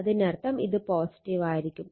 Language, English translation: Malayalam, So, it is like this